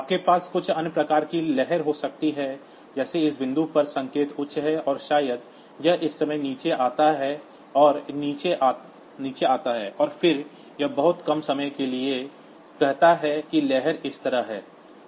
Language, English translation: Hindi, You can have some other type of wave like say at this point the signal is high and maybe it comes down at this time it comes down, and then it remains low for this much of time say the wave is like this